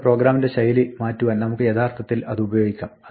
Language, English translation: Malayalam, We can actually use it to change our style of programming